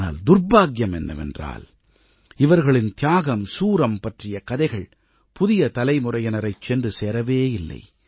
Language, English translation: Tamil, But it's a misfortune that these tales of valour and sacrifice did not reach the new generations